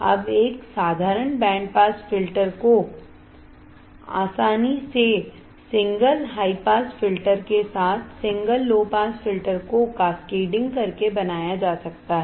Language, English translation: Hindi, Now, a simple band pass filter can be easily made by cascading single low pass filter with a single high pass filter